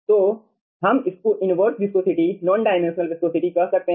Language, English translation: Hindi, this is actually inverse, non dimensional viscosity